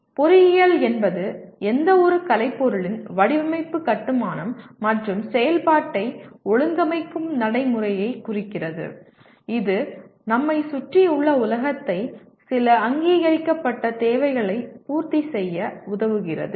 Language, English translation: Tamil, Engineering refers to the practice of organizing the design, construction, and operation of any artifice which transforms the physical world around us to meet some recognized need, okay